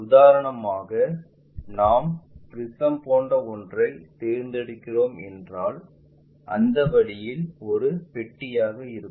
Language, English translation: Tamil, For example, if we are picking something like a prism maybe a box in that way